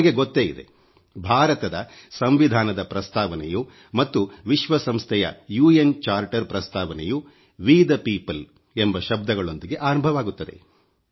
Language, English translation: Kannada, You may be aware that the preface of the Indian Constitution and the preface of the UN Charter; both start with the words 'We the people'